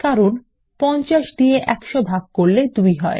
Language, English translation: Bengali, That is because 100 divided by 50 gives 2